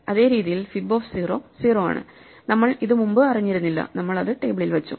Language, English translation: Malayalam, Same way, fib of 0 is 0 we did not know it before; we put it in the table